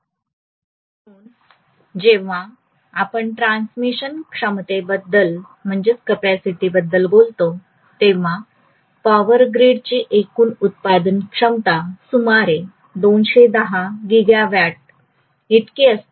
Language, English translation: Marathi, So when we talk about transmission capacity, the overall generation capacity of our Power Grid, right now is about 210 gigawatt, okay